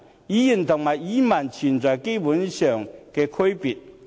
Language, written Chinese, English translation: Cantonese, "語言"和"語文"存在本質上的區別。, There is an essential distinction between spoken language and written language